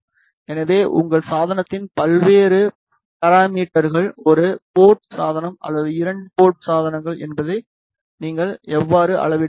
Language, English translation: Tamil, So, this is how you can measure the various parameter of your device whether it is a one port device or two port device